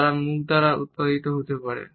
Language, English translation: Bengali, They may also be produced by face